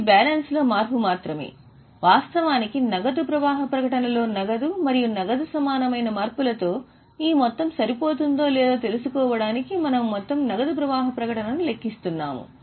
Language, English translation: Telugu, In fact, we are calculating whole cash flow statement to see whether our total matches with the changes in the cash and cash equivalent